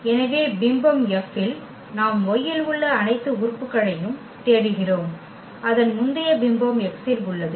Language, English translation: Tamil, So, image F what we are looking for the all the elements in y whose pre image is there in X